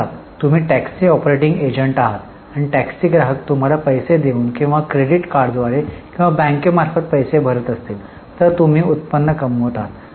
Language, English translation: Marathi, So, suppose you are a taxi operating agency and you provide taxi customers pay you either cash or through credit card or through bank, then you are generating revenue